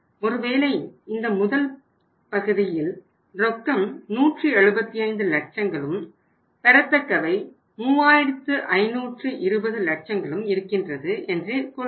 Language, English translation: Tamil, So in case of the first say this part we have the cash is 175 lakhs and receivables are uh 3520 lakhs